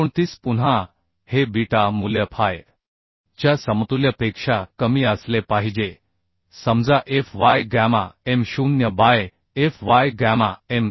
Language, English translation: Marathi, 029 Again this beta value has to be less than equal to fu gamma m0 by fy gamma m1 So this value if we calculate that will be 410 into 1